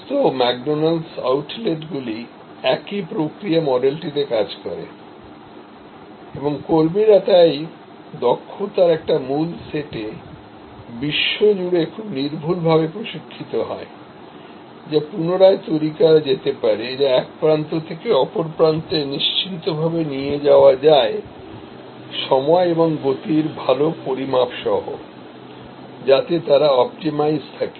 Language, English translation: Bengali, So, all the McDonalds outlets, they operate on the same process model and the staff are therefore, trained very accurately across the world in a core set of skills, which can be replicated, which can be taken from one end to the other end ensured with good measures of time and motion, so that they are optimized